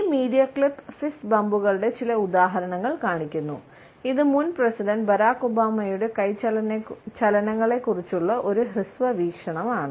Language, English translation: Malayalam, This media clip shows certain examples of fist bumps and it is a brief view of the hand movements of former President Barack Obama